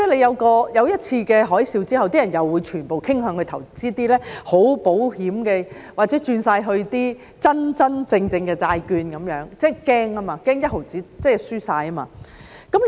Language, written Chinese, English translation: Cantonese, 發生一次"金融海嘯"之後，人們又會全部傾向投資一些十分保險的產品或全部轉到一些真真正正的債券，因為他們害怕，害怕連一毫子都輸掉。, After the occurrence of a financial tsunami people all tend to invest in some guaranteed products or switch all their benefits to invest in some genuine bonds because they are afraid . They are afraid of losing even the last penny